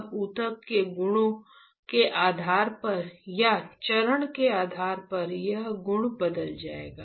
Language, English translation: Hindi, Now, depending on the tissue properties or depending on the stage this property would change